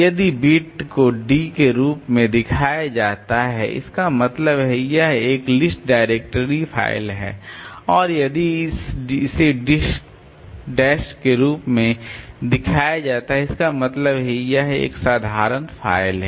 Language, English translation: Hindi, If the beat is shown as D, that means it is a directory list, directory file and if it is shown as a dash that means it is an ordinary file